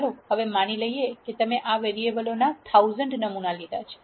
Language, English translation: Gujarati, Now let us assume that you have taken 1000 samples of these variables